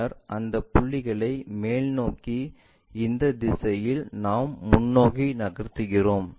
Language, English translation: Tamil, Then, we project those points in the upward direction towards this, and this one what we are rotating